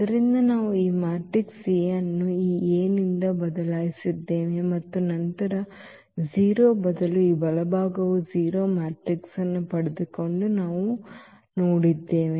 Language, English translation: Kannada, So, we have just replaced here lambda by this A and then we have seen that this right side instead of the 0 we got the 0 matrix